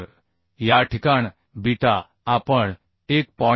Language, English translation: Marathi, 7 and our calculated beta has 1